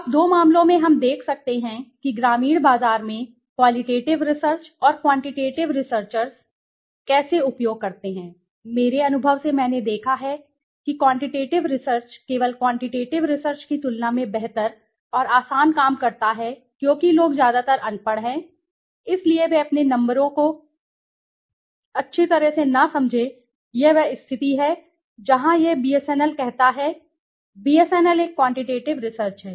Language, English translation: Hindi, Now, two cases we can see how qualitative research and quantitative researchers used in the rural market, to my experience I have seen that qualitative research works much better and easier than quantitative research just for the reason that the people are mostly, illiterate right, so they do not even understand your numbers well this is the case where it says BSNL, BSNL might is a quantitative research BSNL might ask it is customers BSNL is a government organization so it reaches into the deepest remotest villages also